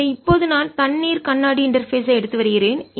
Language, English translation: Tamil, what if, instead of taking air and glass interface, if i took water glass interface